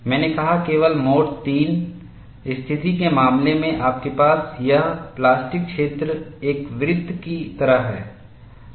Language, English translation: Hindi, I said only in the case of mode three situations, you have this plastic zone is like a circle, in all other cases it has some shape